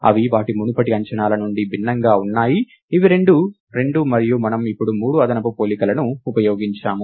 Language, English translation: Telugu, They are different from their earlier estimates, which was both two, and we have now used three additional, three comparisons